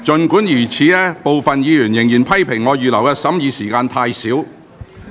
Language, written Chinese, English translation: Cantonese, 儘管如此，部分議員仍然批評我預留的審議時間太少。, Nevertheless some Members still criticized me for allowing too little time for scrutiny